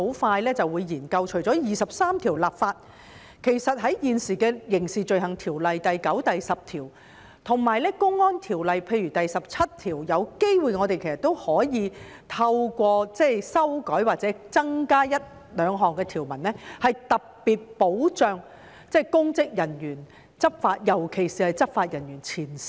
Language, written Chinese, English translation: Cantonese, 其實，除了第二十三條立法外，現時的《刑事罪行條例》第9及10條，以及《公安條例》譬如第17條，都有機會可以透過修改或增加一兩項條文，特別保障公職人員，尤其是前線執法人員。, In fact apart from implementing Article 23 it is possible to amend or add a couple of provisions to the existing legislation such as sections 9 and 10 of the Crimes Ordinance and section 17 of the Public Order Ordinance to provide special protection for public officers especially frontline law enforcement officers